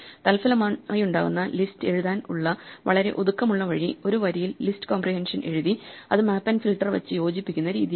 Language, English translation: Malayalam, And then resulting from this, very compact way of writing lists using list comprehensions in one line, combining map and filter